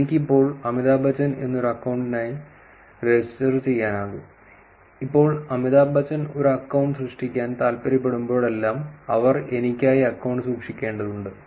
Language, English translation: Malayalam, I could actually register for an account called Amitabh Bacchan, now and keep it for me whenever Amitabh bacchan actually wants to create an account, they would actually have to take the account from me